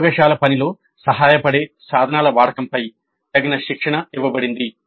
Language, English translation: Telugu, Adequate training was provided on the use of tools helpful in the laboratory work